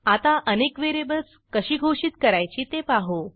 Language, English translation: Marathi, let us learn how to declare multiple variables